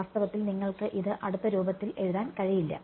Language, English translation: Malayalam, In fact, it you cannot write it in close form